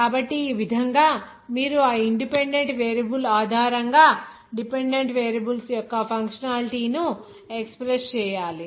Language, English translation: Telugu, So in this way, you have to express the functionality of dependent variables based on those independent variables